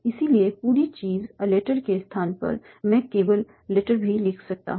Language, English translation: Hindi, So, in place of the whole thing a letter, I may also write simply letter